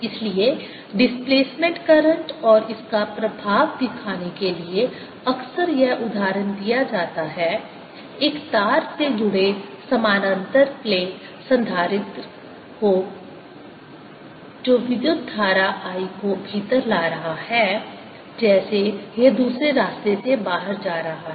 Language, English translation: Hindi, so the often done example of this to show displacement current and its effect is taking a parallel plate capacitor connected to a wire that is bringing in current i as its going out